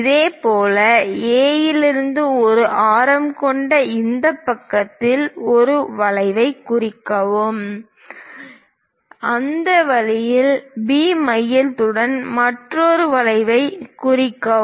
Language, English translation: Tamil, Similarly, from A; mark an arc on this side, with the same radius; mark another arc with the centre B in that way